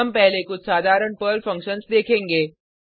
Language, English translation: Hindi, We will first see some simple Perl functions